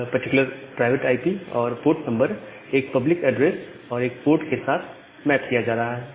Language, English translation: Hindi, So, what happens here that this particular private IP and the port number is being mapped to a public address and one port